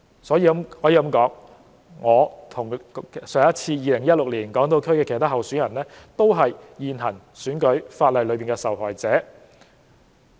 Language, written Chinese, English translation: Cantonese, 可以說，我與2016年港島區其他候選人都是現行選舉法例的受害者。, I along with other candidates of the Hong Kong Island Constituency in 2016 are arguably victims of the existing electoral legislation